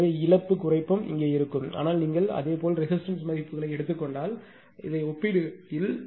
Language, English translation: Tamil, So, loss reduction also will be here, but it compared to if you take the same resistive values